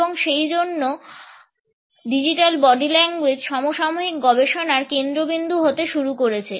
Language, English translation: Bengali, And therefore, Digital Body Language has started to become a focus in contemporary research